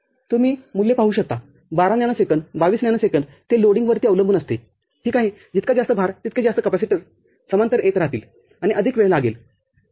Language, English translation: Marathi, The value you see 12 nanosecond and 22 nanosecond it depends on the loading, ok, more such loads, more such capacitors will be coming in parallel and more time will be required, ok